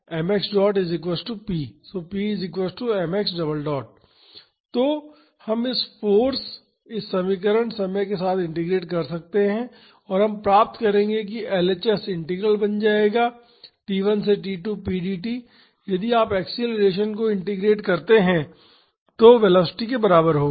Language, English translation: Hindi, So, we can integrate this force this equation over time and we would get the LHS will become integral t 1 to t 2 p dt is equal to mass times, if you integrate acceleration that will be equal to velocity